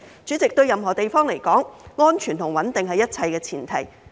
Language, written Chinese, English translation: Cantonese, 主席，對任何地方而言，安全和穩定也是一切的前提。, President security and stability are the prerequisites for everything in any place